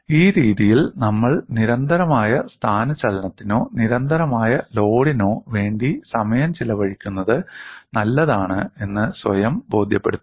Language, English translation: Malayalam, This way, we will convince our self, spending time on constant displacement or constant load is good enough